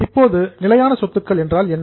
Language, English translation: Tamil, Now what do you mean by fixed assets